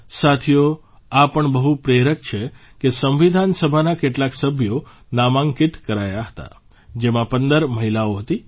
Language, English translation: Gujarati, Friends, it's again inspiring that out of the same members of the Constituent Assembly who were nominated, 15 were Women